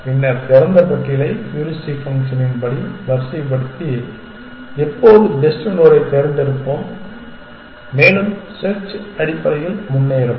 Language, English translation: Tamil, Then, we will sort the open list according to the heuristic function and always choose the best node and the search will progress essentially